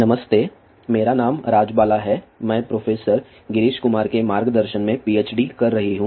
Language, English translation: Hindi, Hello my name is Rajbala, I am pursuing PhD under the guidance of professor Girish Kumar